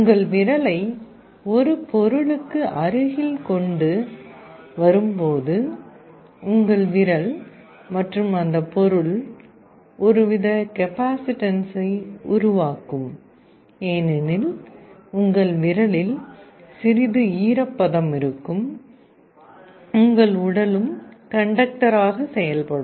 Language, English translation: Tamil, When you bring your finger close to a material, your finger and that material will form some kind of a capacitance because there will some moisture in your finger, your body is also conductive